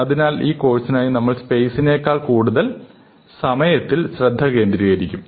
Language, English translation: Malayalam, But essentially, for this course we will be focusing on time more than space